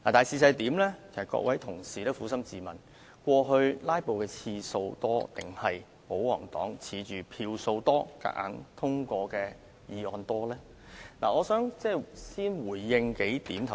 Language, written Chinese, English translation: Cantonese, 請各位同事撫心自問，過往"拉布"的次數較多，還是保皇黨倚仗表決時的票數優勢而強行通過議案的次數較多？, Will Members please be honest and ask yourselves Were there more cases of filibustering or more cases in which the royalists push through motions with their majority vote in the past?